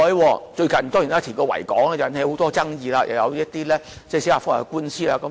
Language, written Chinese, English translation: Cantonese, 當然，最近就維多利亞港的填海工程，引起很多爭議，又有一些司法覆核的官司。, But I am of course aware that many controversies and even judicial review cases have arisen recently from the reclamation projects in Victoria Harbour